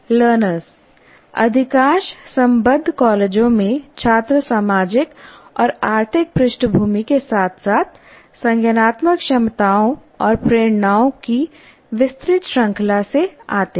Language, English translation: Hindi, And then coming to the learners, students in majority of affiliated colleges come from wide range of social and economic backgrounds as well as cognitive abilities and motivations